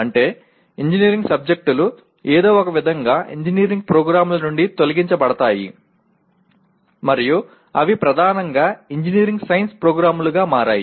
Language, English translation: Telugu, That means engineering subjects are somehow purged out of engineering programs and they have become dominantly engineering science programs